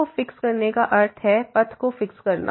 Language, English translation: Hindi, Fixing theta means fixing the path